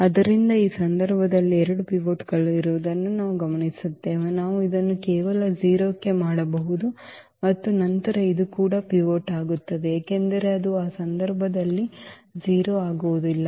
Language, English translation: Kannada, So, we will observe that there are 2 pivots in this case, when we just we can just make this to 0 and then this will become also a pivot because this will not be 0 in that case